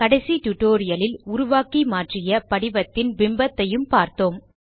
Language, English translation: Tamil, We also saw this image of the form that we started creating and modifying in the last tutorial